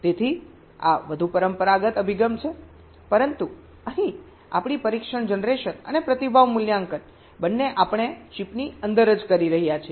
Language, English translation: Gujarati, but here our test generation and response evaluation, both we are doing inside the chip itself